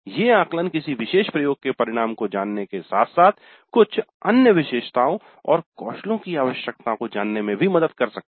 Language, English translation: Hindi, Now these assessments help the students know the outcome of that particular experiment as well as maybe some other attributes and skills that are required